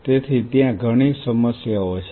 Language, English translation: Gujarati, So, there are several problems